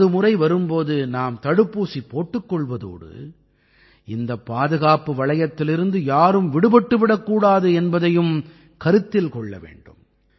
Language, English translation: Tamil, We have to get the vaccine administered when our turn comes, but we also have to take care that no one is left out of this circle of safety